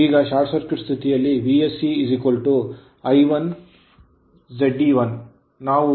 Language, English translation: Kannada, Now, V S C under short circuit condition voltage I 1 into Z e1, you will get it is 13